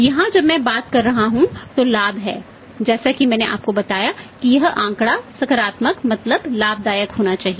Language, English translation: Hindi, Here when I talking about is the profit as I told you that this figured should be the positive means profit